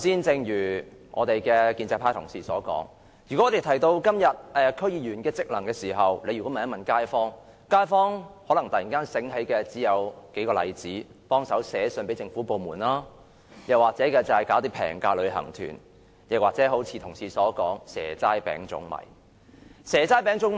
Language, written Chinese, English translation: Cantonese, 正如建制派同事剛才所說，如果我們問街坊，現時區議員的職能為何，他們想起的可能只有數件事：幫忙寫信給政府部門、舉辦廉價旅行團，或同事所說的"蛇齋餅粽米"。, Why? . As a colleague from the pro - establishment camp just said if you ask the kaifongs about the functions of DC members they may only recall matters like writing letters to the Government organizing low - cost tour groups or giving away various seasonal delicacies